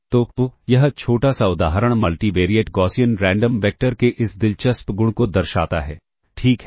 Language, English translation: Hindi, So, this small example illustrates this interesting property of the Multivariate Gaussian Random, Multivariate Gaussian Random vector alright